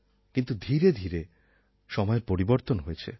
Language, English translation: Bengali, But gradually, times have changed